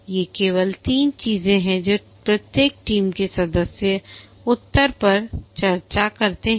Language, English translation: Hindi, These are only three things that each team members answers, discusses